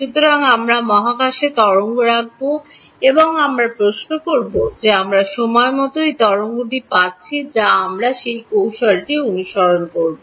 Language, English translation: Bengali, So, we will keep the wave in space and we will question whether we are getting a wave in time that is the strategy that we will follow